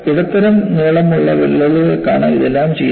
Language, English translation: Malayalam, And, this is all done for medium length crack